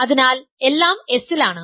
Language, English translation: Malayalam, So, that is also in S